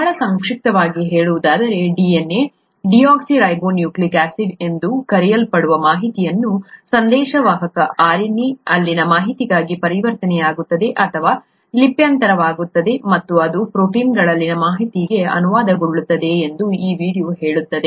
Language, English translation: Kannada, Very briefly speaking, this video will say that the information in something called the DNA, deoxyribonucleic acid, gets converted or transcribed to the information in the messenger RNA and that gets translated to the information in the proteins